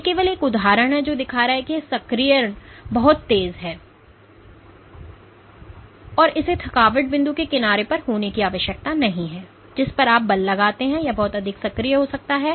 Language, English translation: Hindi, So, this is just an example showing that this activation is very fast and it need not be at the side of the exhaustion point at which you exert in the force, it might get activated much further